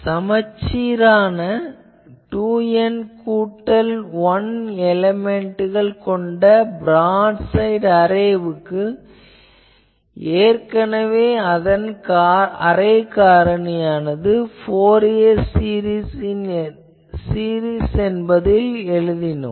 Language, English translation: Tamil, For a symmetrical broad side array with 2 N plus 1 elements, the array factor already we have shown that it can be written like the Fourier series time we have written this